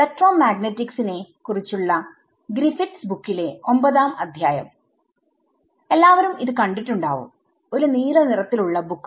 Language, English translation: Malayalam, So, chapter 9 of Griffiths book on electrodynamics right, everyone has seen that, the blue color book right